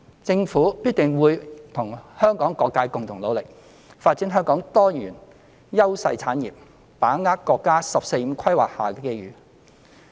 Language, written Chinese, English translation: Cantonese, 政府必定會與香港各界共同努力，發展香港多元優勢產業，把握國家"十四五"規劃下的機遇。, The Government will definitely join efforts with various sectors of the community to promote a diversified development of industries where Hong Kong enjoys clear advantages and grasp the opportunities brought about by the National 14th Five - Year Plan